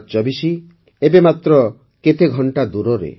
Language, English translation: Odia, 2024 is just a few hours away